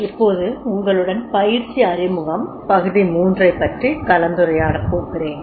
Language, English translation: Tamil, Now, I will discuss with you the introduction to training part 3